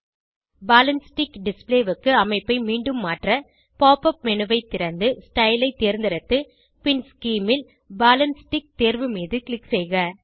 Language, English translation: Tamil, To convert the structure back to Ball and stick display, Open the pop up menu, select Style, then Scheme and click on Ball and stick option